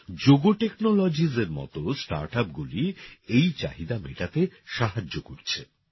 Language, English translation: Bengali, Startups like Jogo Technologies are helping to meet this demand